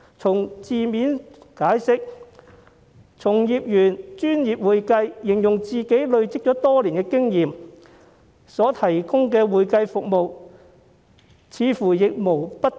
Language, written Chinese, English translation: Cantonese, 按字面解釋，從業員以"專業會計"形容他以累積多年的經驗提供的會計服務，似乎亦無不當。, Also it does not seem literally inappropriate for practitioners to use professional accounting to describe his experience accumulated over the many years in the provision of accounting services